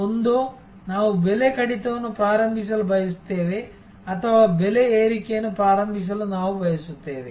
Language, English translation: Kannada, Either, we want to initiate price cut or we want to initiate price increase